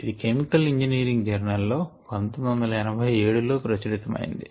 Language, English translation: Telugu, it was published in chemical engineering, a journal in nineteen eighty seven